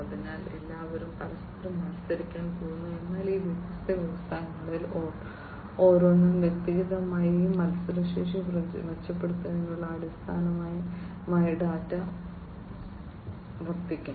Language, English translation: Malayalam, So, you know, everybody is going to compete with one another, but the data will serve as a basis for improving upon this competitiveness individually by each of these different industries